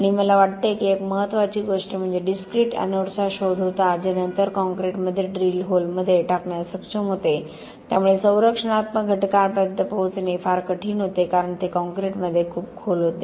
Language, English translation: Marathi, And I think one of the major things was invention of the discrete anodes which were then able to put into drill holes into the concrete so structural elements were very difficult to get to, because they were very deep into the concrete